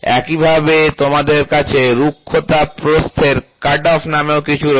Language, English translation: Bengali, So, in the same way you also have something called as roughness width cutoff